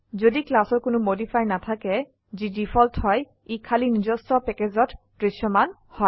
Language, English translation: Assamese, If a class has no modifier which is the default , it is visible only within its own package